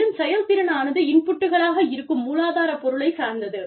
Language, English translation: Tamil, And then, efficiency is dependent on the substance, the inputs